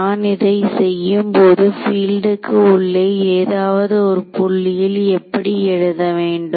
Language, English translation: Tamil, So, when I do this now I can write down field at any point inside how can I write it now